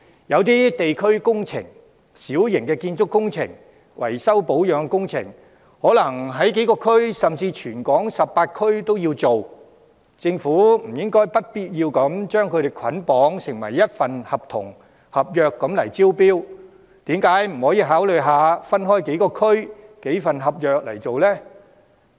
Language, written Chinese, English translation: Cantonese, 有些地區工程、小型建築工程、維修保養工程等，可能在幾個區，甚至全港18區推行，政府不必要將所有工程捆綁成為一份合約招標，為何不考慮一份合約涵蓋幾個地區的工程，這樣便可批出多份合約？, Some district - based projects minor construction works maintenance and renovation works etc may be carried out in a few districts or even all 18 districts of the territory . It is not necessary for the Government to bundle all the projects under one contract in a tender exercise . Why doesnt the Government consider grouping projects of several districts under one contract so that more contracts can be awarded?